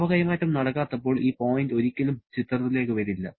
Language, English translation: Malayalam, If there is no heat transfer at all, then this point never comes into picture